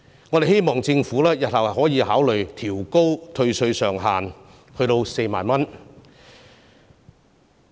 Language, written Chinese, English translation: Cantonese, 我們希望政府日後可以考慮調高退稅上限至4萬元。, We hope that the Government can consider raising the tax reduction ceiling to 40,000 in the future